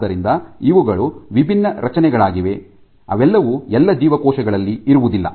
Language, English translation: Kannada, So, these are different structures they are not all present in all cells